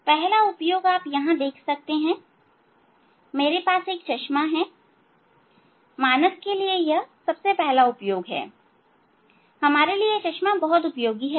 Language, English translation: Hindi, first application you can see I have spectacle, for human the first application very useful application for our spectacle